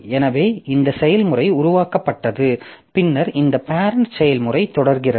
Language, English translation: Tamil, And then this parent process continues